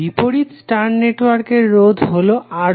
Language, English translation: Bengali, The opposite star resistor is R1